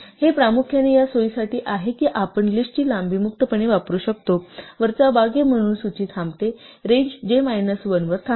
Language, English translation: Marathi, It mainly for this convenience that we can freely use the length of the list as the upper bound that the list stops, that the range stops at j minus 1